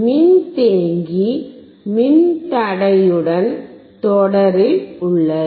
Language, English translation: Tamil, Capacitor is in series with resistor